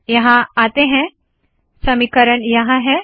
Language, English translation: Hindi, So lets come here – so the equation is here